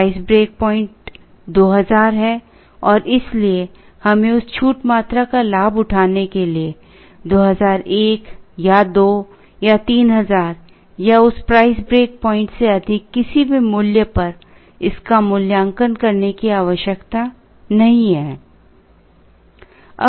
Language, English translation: Hindi, The price break point is 2000 and therefore, we need not evaluate it at 2001 or 2 or 3000 or any value greater than that price break point, to avail that discount quantity